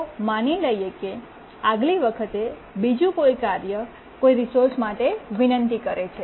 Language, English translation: Gujarati, And let's say next time another task requests a resource